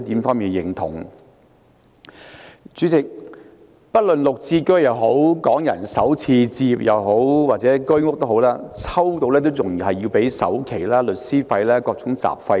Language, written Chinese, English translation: Cantonese, 主席，市民即使抽中綠置居、港人首次置業，或者居者有其屋也好，也要支付首期、律師費和各種雜費。, President even if one can successfully apply for flats under the Green Form Subsidized Home Ownership Scheme the Starter Homes Pilot Scheme for Hong Kong Residents or the Home Ownership Scheme he still has to make down payment pay legal fees and various miscellaneous fees